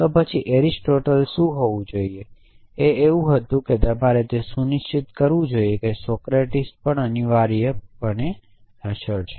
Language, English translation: Gujarati, Then what Aristotle should was that you should be able to infer that Socrates is mortal essentially